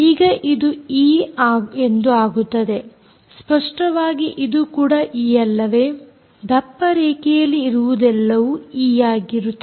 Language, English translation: Kannada, now this becomes e, obviously, and this is, this is also e, right, everything that is hard line is a, e